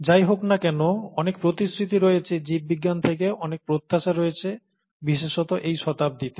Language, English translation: Bengali, In any case, there’s a lot of promise, there’s a lot of expectation from biology, especially in this century